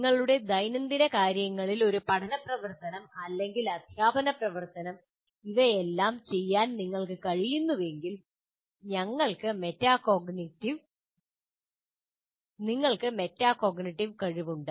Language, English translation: Malayalam, So if you are able to do all these things in your day to day learning activity or even teaching activity, then we have that metacognitive ability